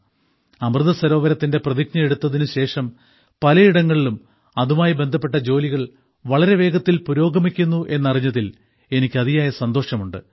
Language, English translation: Malayalam, By the way, I like to learnthat after taking the resolve of Amrit Sarovar, work has started on it at many places at a rapid pace